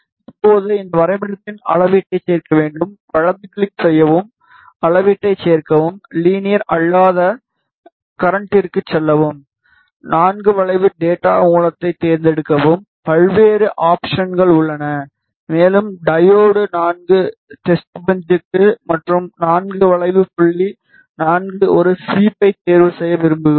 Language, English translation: Tamil, Now, we have to add measurement to this graph, right click, add measurement, go to non linear current select IV curve data source there are various options and we want to choose diode IV testbench, and IV curve dot IV 1 sweep which is the variable that we are going to use is used for the x axis and the step is being ignored